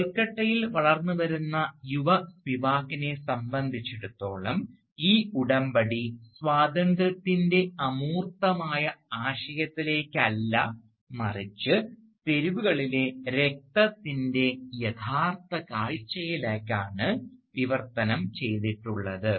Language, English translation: Malayalam, And, for young Spivak, growing up in Calcutta, this pact did not translate so much into the abstract idea of freedom, as to the more real spectacle of blood on the streets